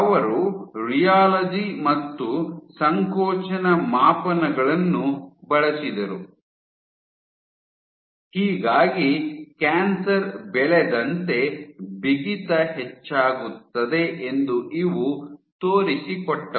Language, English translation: Kannada, If they use rheology and compression measurements, so these demonstrated that as tumor progresses